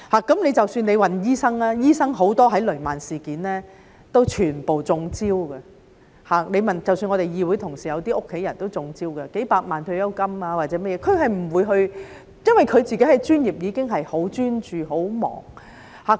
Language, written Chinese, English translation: Cantonese, 即使是醫生，很多醫生在雷曼事件都"中招"。即使一些議員同事的家人都"中招"，損失幾百萬元退休金或甚麼的，因為他們自己是專業人士，已經很專注工作、很忙。, Even for doctors many of them had fallen victim to the Lehman Brothers incident and even the family members of some Members had fallen victim to it and lost a few million dollars of their pensions or whatever because they being professionals themselves had put all the attention on their work and had a busy schedule